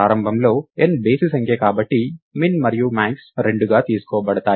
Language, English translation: Telugu, Initially, because n is odd min and max are taken to be 2